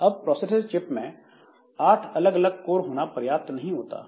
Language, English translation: Hindi, Now, it is not sufficient that a processor chip, it has got, say, eight different codes